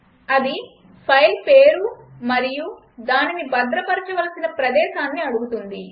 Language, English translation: Telugu, It asks for filename and location in which the file has to be saved